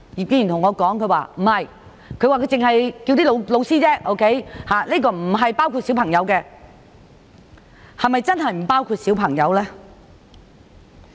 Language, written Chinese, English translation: Cantonese, "他對我說他只是呼籲老師而已，並不包括小朋友，但是否真的不包括小朋友？, He told me that he only appealed to teachers but not students . Yet were students really not included?